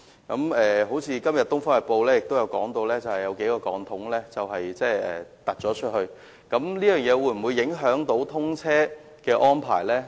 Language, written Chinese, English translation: Cantonese, 今天《東方日報》報道人工島有數個鋼筒向外伸延，我們非常關注這會否影響大橋的通車安排。, It is reported in Oriental Daily News today that several steel cells of the artificial island have been stretched outwards . We are very concerned about whether this will affect the commissioning of HZMB